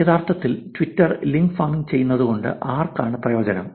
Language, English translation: Malayalam, Who benefits because of actually link farming on Twitter